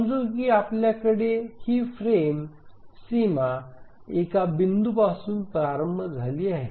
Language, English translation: Marathi, Let's say we have this frame boundary starting at this point